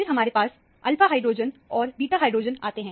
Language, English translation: Hindi, Then, you have the alpha hydrogen and the beta hydrogen